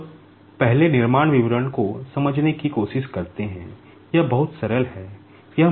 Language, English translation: Hindi, Now, let us try to understand the construction details at first, it is very simple